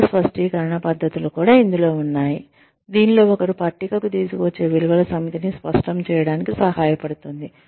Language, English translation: Telugu, Which also include, value clarification techniques, in which, one is helped to clarify, the set of values, one brings to the table